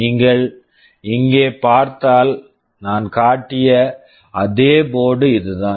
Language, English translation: Tamil, If you see here this is the same board that I had shown